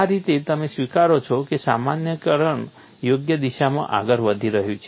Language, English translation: Gujarati, That way you accept that generalization is proceeding in the right direction